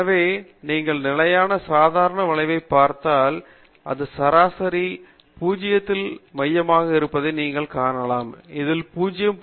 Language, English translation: Tamil, So, when you look at the standard normal curve, you can see that it is centered at mean 0, this minus 0